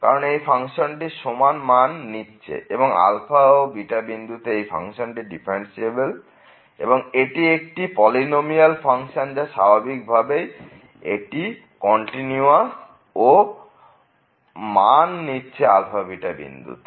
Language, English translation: Bengali, Because, of the reason because the function is taking now equal value at alpha and beta, function is differentiable, it is a polynomial function, there is no problem, the it is continuous naturally and it is taking the same value at alpha and beta